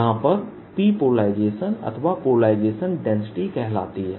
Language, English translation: Hindi, that's the polarization density